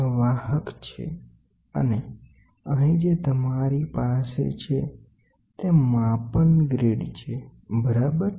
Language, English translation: Gujarati, This is the carrier and here whatever you have is the measuring grid, ok